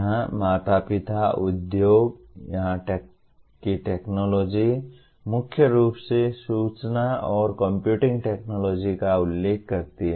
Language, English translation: Hindi, Here the parents, industry, the technology here we mainly refer to information and computing technology